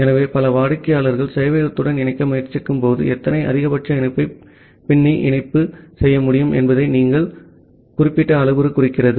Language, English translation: Tamil, So, this particular parameter indicates that how many maximum connection can be backlogged when multiple clients are trying to connect to the server